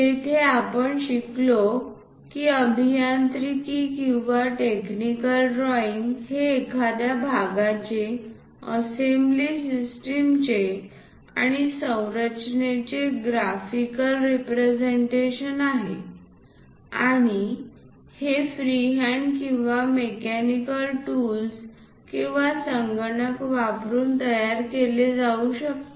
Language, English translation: Marathi, There we have learnt an engineering or a technical drawing is a graphical representation of a part, assembly system or structure and it can be produced using freehand or mechanical tools or using computers